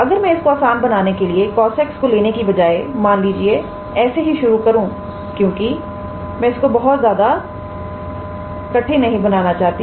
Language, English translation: Hindi, If I assume that instead of cos x if I let us say just start with just to make the example a little bit simpler because I do not want to complicate it